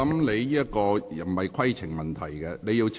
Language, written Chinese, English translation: Cantonese, 你提出的並非規程問題。, This is not a point of order